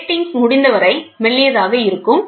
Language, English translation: Tamil, The gratings can be as thin as possible